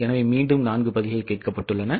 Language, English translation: Tamil, Again, there are four possible answers